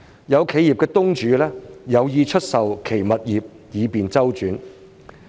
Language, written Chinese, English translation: Cantonese, 有企業東主有意出售其物業以便周轉。, Some owners of enterprises intend to sell their properties to meet cash flow needs